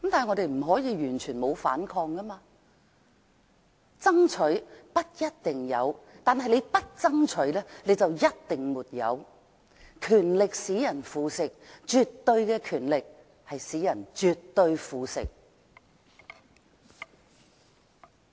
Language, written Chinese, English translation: Cantonese, 我們不可以完全不反抗，"爭取，不一定有；不爭取的話，就一定沒有"，"權力使人腐蝕，絕對權力使人絕對腐蝕"。, We just cannot give up fighting If you fight you may not get it; but if you dont fight you will never get it; Power corrupts; absolute power corrupts absolutely